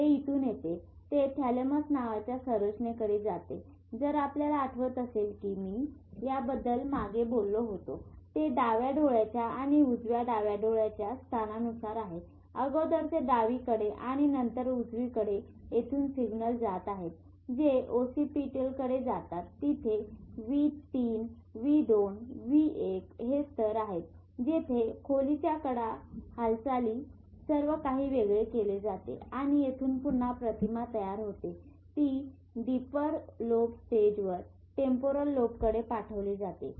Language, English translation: Marathi, It comes from here, it goes to the structure called thalamus if you remember when I talked about it where there is a representation according to the features from left eye and right eye then left eye and then the signals are going from here it goes to oxypetal there is this layer V3 V2 1 where depth edges movement everything is separated and from here again a image is formed which is sent to deeper lobes, to temporal lobe which is if you remember I told what is it you are seeing